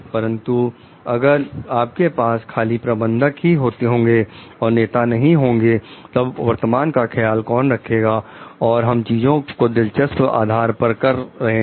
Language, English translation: Hindi, But, if we are having only managers and we don t have leaders, so then who we are taking care of a present and we are doing things in a titbit basis